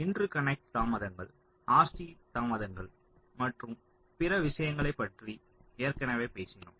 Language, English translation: Tamil, so the interconnect delays we have already talked about the r c delays and other things